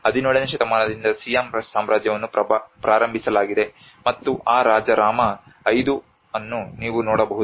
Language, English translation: Kannada, And that is where the Siam which is the Siam kingdom has been started from 17th century, and you can see that king Rama 5